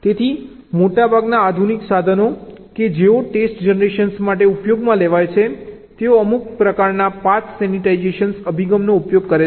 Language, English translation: Gujarati, so most of the modern tools that are used for test generation they use some kind of ah path sanitization approach